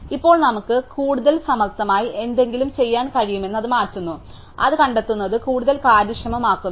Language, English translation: Malayalam, Now, turns out that we can do something much more cleaver an actually make it even more efficient to find